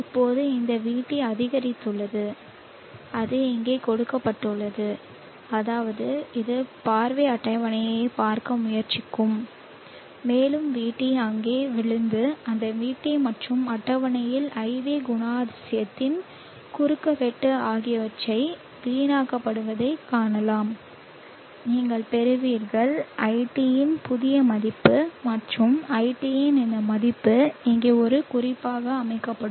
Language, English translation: Tamil, Here now let us see now this VT has increased and that is given here and which means it will try to looking to the lookup table and see that the VT Falls there and waste on that VT and intersection of the IV characteristic of table you will get the new value of I T and this value of I T will be set as a reference here now this is a smaller lower value of I T and therefore this Irwell try to match this and therefore this load ID will try to match the new reference and therefore come and settle at this point